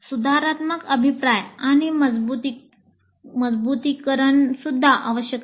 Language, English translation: Marathi, And corrective feedback and reinforcement are again very essential